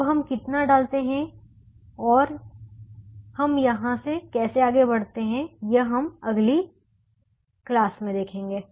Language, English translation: Hindi, now, how much we put and how we proceed from here, we will now see in the next class